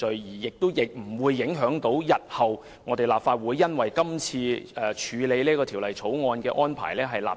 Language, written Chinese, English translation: Cantonese, 這項議案亦不會訂立先例，影響日後立法會處理《條例草案》的安排。, Also this motion will not set a precedent to affect the future arrangement of the Legislative Council for processing the Bill